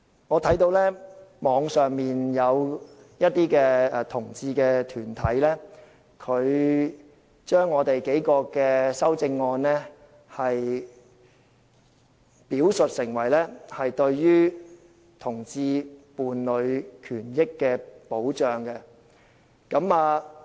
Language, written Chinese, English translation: Cantonese, 我看到網上有些同志團體將我們提出的數項修正案表述為對同志伴侶權益的保障。, From the Internet I learnt that the several amendments proposed by us are described by some LGBT groups as protection for the rights of LGBT partners